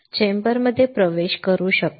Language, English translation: Marathi, Can enter the chamber